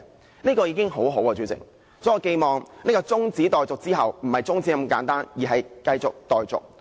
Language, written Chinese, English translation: Cantonese, 主席，這樣已經很好了，所以，我寄望這項中止待續議案之後，不是中止這麼簡單，而是繼續待續。, President this is already good enough . So I hope that this adjournment motion will not simply bring an end to this matter and this matter will be resumed some time later